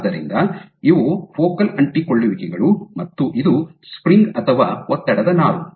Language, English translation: Kannada, So, these are your focal adhesions and this is your string or stress fiber